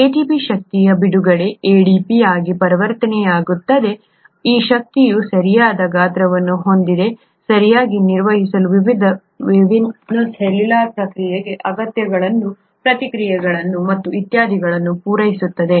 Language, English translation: Kannada, ATP gets converted to ADP, by the release of energy and this energy is rightly sized, right, to carry out, to fulfil the needs of various different cellular processes, reactions maybe and so on so forth